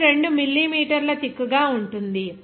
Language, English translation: Telugu, It is thick of 2 millimeter